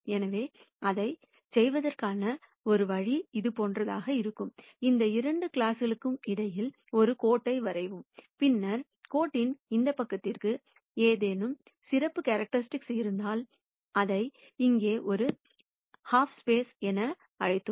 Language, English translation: Tamil, So, one way to do that would be something like this; draw a line between these two classes and then say, if there is some characteristic that holds for this side of the line, which is what we called as a half space here